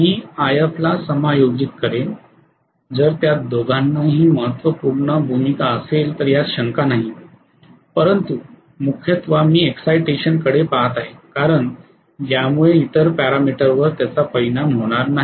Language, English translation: Marathi, I will adjust IF, both of them play a vital role no doubt but mainly I am going to look at the excitation because it will not affect the other parameter that is the reason right